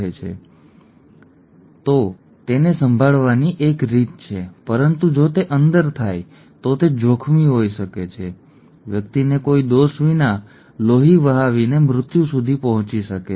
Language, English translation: Gujarati, If it is outside, there is a way of handling it but if it happens inside then it can be dangerous, the person can bleed to death for no fault